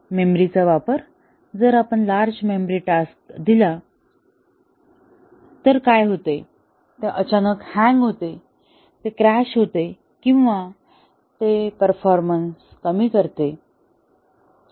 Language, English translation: Marathi, Utilization of memory, if we give a very memory intensive task, what happens, does it suddenly hang, does it crash or does it gracefully degrade performance little bit